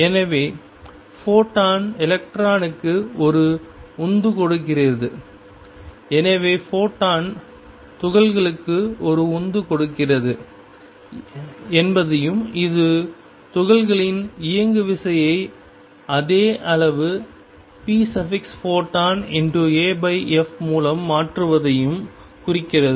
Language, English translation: Tamil, And the photon therefore, gives a kick to the electron and this implies that the photon therefore, gives a kick to the particle and that implies that the momentum of particle also changes by the same amount p